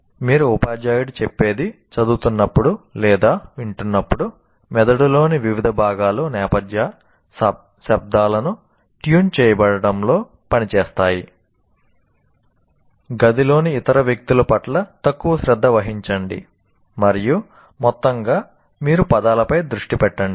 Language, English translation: Telugu, While you are reading or listening to what the teacher says, different parts of your brain are working to tune out background noises, pay less attention to other people in the room and overall keep you focused on the words